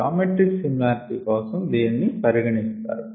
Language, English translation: Telugu, we will have geometric similarity